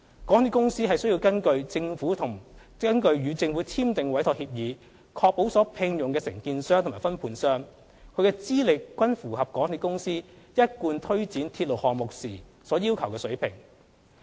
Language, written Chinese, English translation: Cantonese, 港鐵公司須根據與政府簽訂的委託協議，確保所聘用的承建商及分判商，其資歷均符合港鐵公司一貫推展鐵路項目時所要求的水平。, In accordance with the Entrustment Agreement signed with the Government MTRCL is required to ensure that the contractors and subcontractors employed are of a level of qualification which is consistent with those required by MTRCL for implementing ordinary railway projects